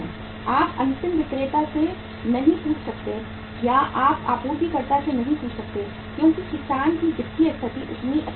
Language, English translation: Hindi, You cannot ask the end seller or you cannot ask the supplier because farmer’s financial position is not that good